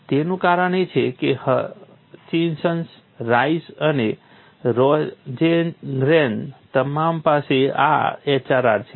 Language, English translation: Gujarati, That is, because Hutchinson Rice and Rosengren you have this HRR